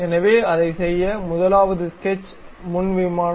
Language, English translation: Tamil, So, to do that, the first one is go to sketch, frontal plane